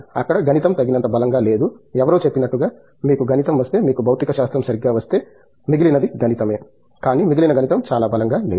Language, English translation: Telugu, There mathematics is not strong enough, as somebody said you know if you get your mathematics, if you get your physics right the rest is mathematics is what somebody say, but that rest is mathematics is not very strong